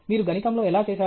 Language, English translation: Telugu, How did you do it in mathematics